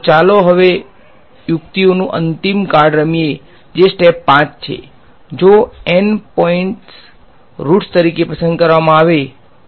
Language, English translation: Gujarati, So, now let us play the final card of tricks which is step 5, is that if the N points are chosen to be the roots of p N x ok